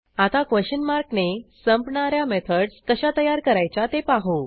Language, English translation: Marathi, Next, let us look at how to create methods with a trailing question mark